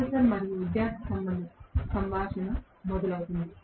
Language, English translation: Telugu, Conversation between professor and student starts